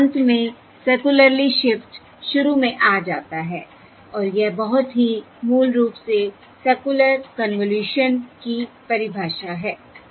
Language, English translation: Hindi, There is the end, circularly shifts back to the beginning, and that is very basically the definition of a circular convolution